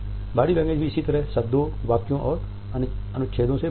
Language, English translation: Hindi, Body language is also made up of similarly words, sentences and paragraphs